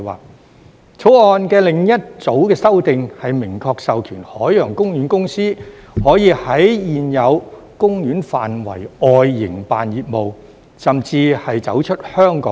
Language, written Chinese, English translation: Cantonese, 《條例草案》的另一組修訂，是明確授權海洋公園公司可以在現有公園範圍外營辦業務，甚至是走出香港也可。, Another group of amendments in the Bill is to expressly empower the Ocean Park Corporation to operate business beyond Ocean Parks existing physical boundary or even outside Hong Kong